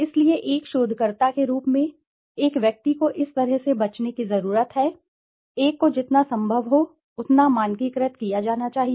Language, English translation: Hindi, So as a researcher one needs to avoid such kind of, one has to be as standardized as possible